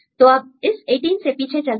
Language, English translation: Hindi, So, now, go back with this 18